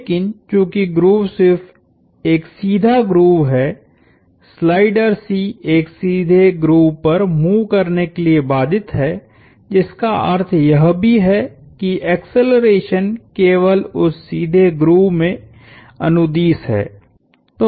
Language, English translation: Hindi, But since the grove is just a straight grove, the slider C is constrained to move on a straight grove which also means that the acceleration is only along that straight grove